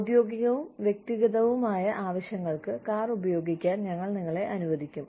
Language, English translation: Malayalam, We will let you use the car, for official and personal purposes